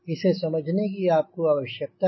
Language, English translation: Hindi, this is something you need to understand